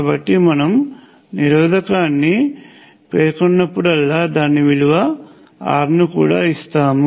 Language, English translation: Telugu, So, whenever we specify the resistor, we also give its value R